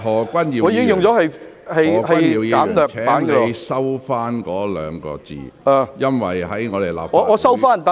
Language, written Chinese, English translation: Cantonese, 何君堯議員，請你收回這兩個字，因為在立法會......, Dr Junius HO please withdraw these two words because in the Legislative Council